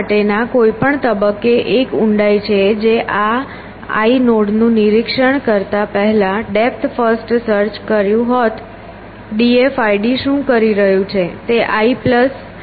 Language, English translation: Gujarati, At any given stage for this is a depth first would have done depth first search just inspecting this l nodes, what is d f i d is doing